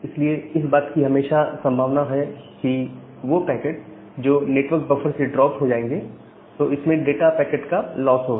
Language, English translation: Hindi, So, there is always a possibility that those particular packets, those will get dropped from the network buffer and a loss of data packets